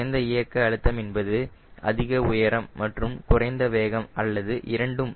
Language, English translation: Tamil, lower dynamic pressure means higher altitude and lower speed, or both